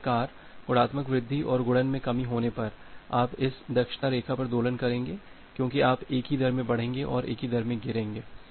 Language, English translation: Hindi, Similarly on the multiplicative increase and the multiplicative decrease, you will oscillate on the this efficiency line because you will increase in the same rate and drop in the same rate